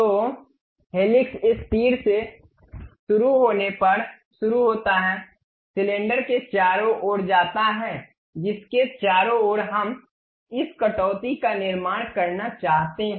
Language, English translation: Hindi, So, helix begins at starting of this arrow, goes around the cylinder around which we want to construct this cut